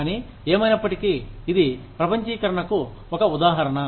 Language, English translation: Telugu, But, anyway, so this is one example of globalization